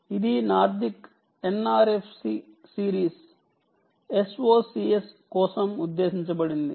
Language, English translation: Telugu, it is meant for nordic ah, n r, f series of s o c s, ah